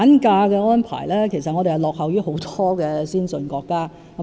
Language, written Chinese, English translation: Cantonese, 至於產假，其實本港落後於很多先進國家。, As regards maternity leave actually Hong Kong lags behind many advanced countries